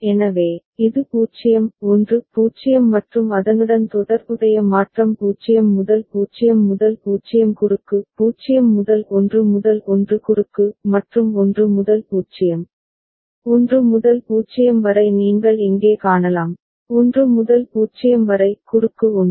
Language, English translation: Tamil, So, this is 0 1 0 and corresponding transition 0 to 0 0 cross; 0 to 1 1 cross; and 1 to 0, 1 to 0 you can see over here, 1 to 0 cross 1